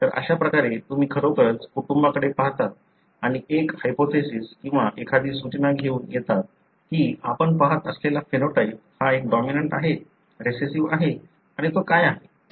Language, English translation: Marathi, So this is how you really look into the family and come up with a hypothesis or a suggestion that the phenotype that you are seeing is a dominant, recessive and what it is